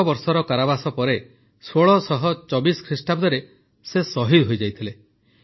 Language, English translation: Odia, In 1624 after ten years of imprisonment she was martyred